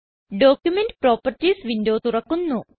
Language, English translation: Malayalam, Document Properties window opens